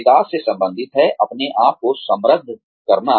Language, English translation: Hindi, Development relates to, enriching yourself